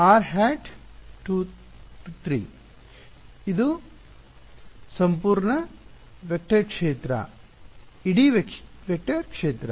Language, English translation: Kannada, The whole vector field